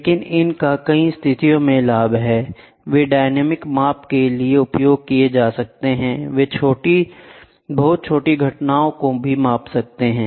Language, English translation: Hindi, So, but they have the advantage in number of situations, they are dynamic used for dynamic measurements, they can measure even very small events